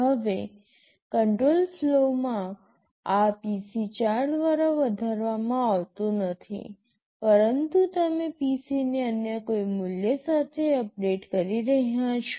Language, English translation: Gujarati, Now in control flow, this PC is not being incremented by 4, but rather you are updating PC with some other value